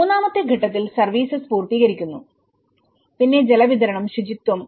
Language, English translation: Malayalam, On the stage 3, the service completion of it, the water supply and sanitation